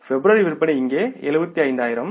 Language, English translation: Tamil, February sales are here something like 75,000